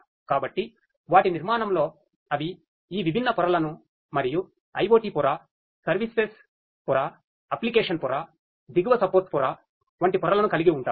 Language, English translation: Telugu, So, in their architecture they have all these different layers and the layers such as the IoT layer, service layer, application layer, the bottom support layer